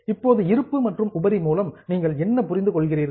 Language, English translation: Tamil, Now what do you understand by reserve and surplus